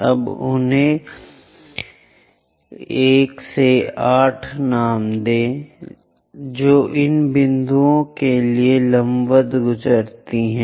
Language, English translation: Hindi, Now name them 1, 2, 3, 4, 5, 6, 7 and 8 draw a line which pass perpendicular to these points